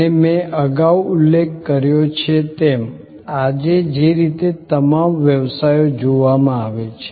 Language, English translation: Gujarati, And as I mentioned earlier, in the way all businesses are perceived today